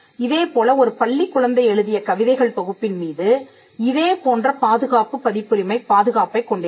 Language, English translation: Tamil, And similarly, poems written by an school kid would have similar protection copyright protection over the work